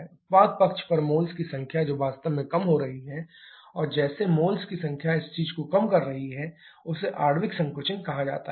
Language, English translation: Hindi, Number of moles on the product side that is actually reducing and as the number of moles are reducing this thing is called molecular contraction